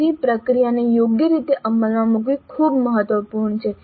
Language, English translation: Gujarati, So, it is important to have the process implemented properly